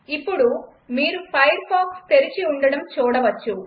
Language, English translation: Telugu, Now you can see that firefox is open